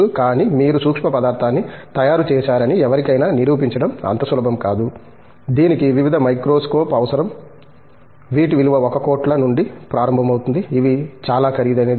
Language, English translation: Telugu, But, to prove to somebody that you have made a nanomaterial is not so easy, it needs various microscope which are extremely expensive starting from anywhere ranging from about 1 crore